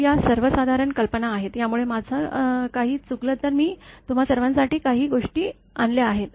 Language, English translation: Marathi, So, these are general ideas; so all if I miss anything, so some things I have brought for all of you